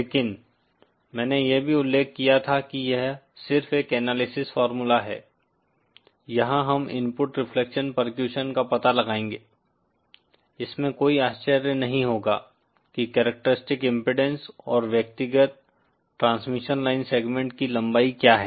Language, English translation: Hindi, But I had also mentioned that it is just an analysis formula, here we will find out input reflection percussions there will be no wonder what the characteristic impedance and the length of the individual transmission line segments are